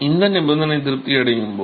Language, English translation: Tamil, So, when this condition is satisfied